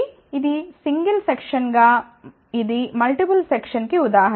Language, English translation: Telugu, So, this as a single section this is an example of multiple section